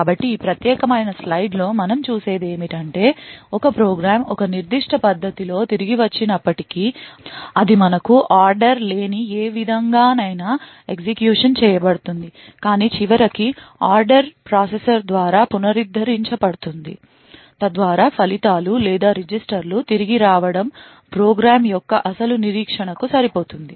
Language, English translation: Telugu, So essentially what we see in this particular slide is that even though a program is return in a particular manner it would could be executed in any manner which we known as out of order, but eventually the order is restored by the processor so that the results or the registers return back would match the original expectation for the program